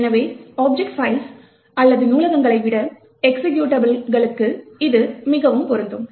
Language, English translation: Tamil, So, this is more applicable for executables rather than object files or libraries